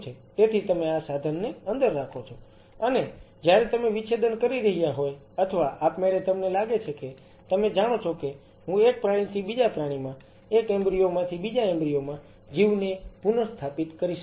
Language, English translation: Gujarati, So, you get this instrument inside, and while you are dissecting or automatically you may feel like you know, if I could restore lies because from one animal to second animal from one embryo to next embryo